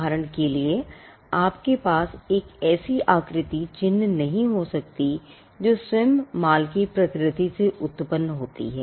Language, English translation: Hindi, For instance, you cannot have a mark which is a shape that results from the nature of goods themselves